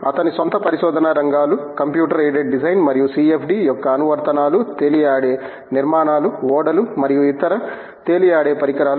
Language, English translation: Telugu, His own areas of research are Computer Aided Design and Application of CFD to floating structures including ships and other floating bodies